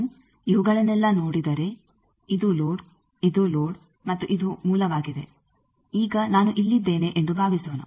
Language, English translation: Kannada, Suppose; if I look at these that this is the load this is load and this is source, then you see that suppose now I am here